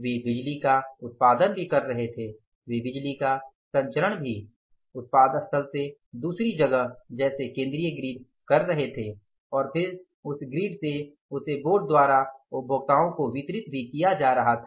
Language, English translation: Hindi, They were generating power also, they were transmitting the power also from the place of generation to the one, say, central grid and then from their grid that grid that power was being distributed to the by that board itself to the consumers, by the users